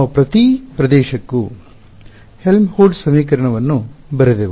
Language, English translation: Kannada, We wrote down the Helmholtz equation for each region right